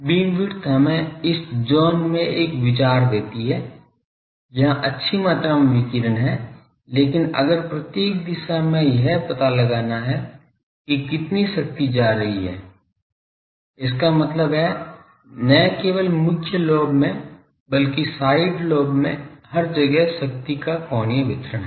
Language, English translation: Hindi, Beam width gives us an idea ok in this zone there are good amount of radiation, but if want to find out in each direction how much power is going; that means, the angular distribution of power throughout not only in the main lobe , in the side lobe everywhere